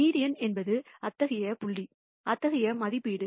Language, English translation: Tamil, And it turns out that the median is such a point, such an estimate